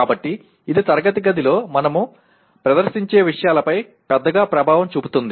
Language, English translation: Telugu, So this has a major impact on the way we react in a classroom to the things that are presented